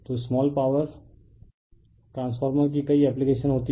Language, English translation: Hindi, So, small power transformer have many applications